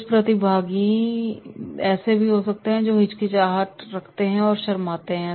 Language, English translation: Hindi, There might be certain participants those who are hesitant or shy